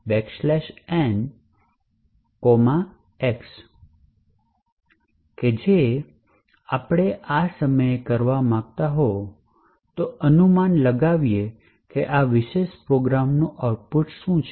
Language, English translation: Gujarati, One thing you would actually like to do at this time is to guess what the output of this particular program is